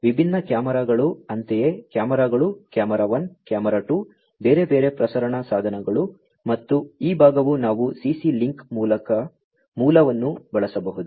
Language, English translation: Kannada, Different cameras likewise cameras, camera 1, camera 2, different other may be transmission devices and this part we could use CC link basic